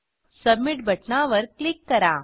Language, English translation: Marathi, Then click on Submit button